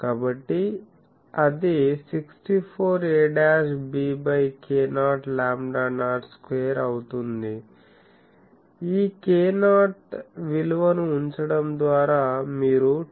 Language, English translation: Telugu, So, a dash b by k 0 lambda 0 square so, this with putting this k 0 value etc